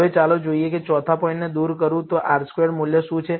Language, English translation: Gujarati, Now, let us look at what the R squared value is If I remove the fourth point